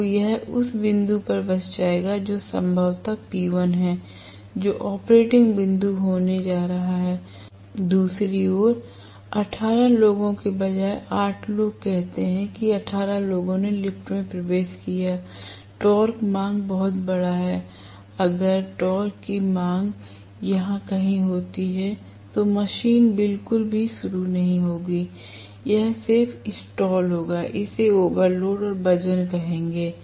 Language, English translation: Hindi, So, it will settle down at this point, which is probably P1 that is going to be the operating point, on the other hand instead of 18 people, 8 people, say 18 people have gotten into the elevator, the torque is very large the demand, if the torque demand happens to be somewhere here, the machine will not start at all, it will just stall, it will say overload and weight